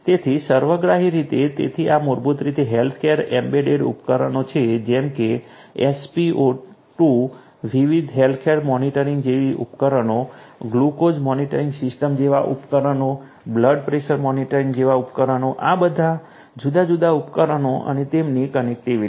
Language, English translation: Gujarati, So, holistically so these are basically the healthcare embedded devices such as SpO2, devices such as the different healthcare monitors, devices such as the glucose monitoring system, devices such as the blood pressure monitor like that all these different devices and their connectivity